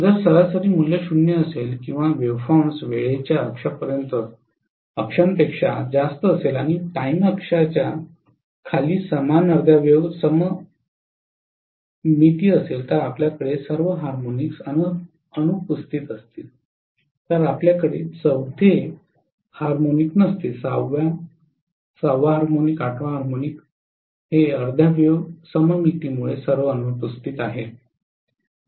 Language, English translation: Marathi, If the average value is 0 or the waveform has above the time axis and below the time axis if it has the same half wave symmetry then you are going to have all the even harmonics being absent, so you will not have fourth harmonic, second harmonic, sixth harmonic, eighth harmonic all of them are absent because of half wave symmetry